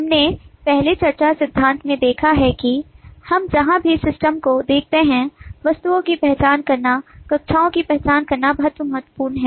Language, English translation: Hindi, we have seen in the earlier discussion in theory that whatever where we look at the system, it is very critical to identify objects, identify classes